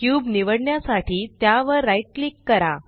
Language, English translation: Marathi, Right click the cube to select it